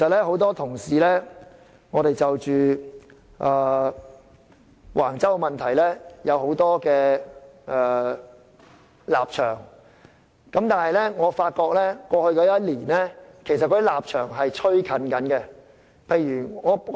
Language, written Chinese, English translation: Cantonese, 很多同事過去對橫洲問題有很多立場，但在過去一年多，大家的立場已逐漸拉近。, Many colleagues held different positions on the Wang Chau incident in the past but in the past year or so our different positions have been closer